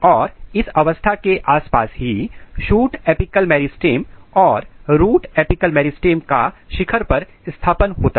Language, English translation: Hindi, And this is the stage around which the shoot apical meristem and root apical meristems are actually positioned at apex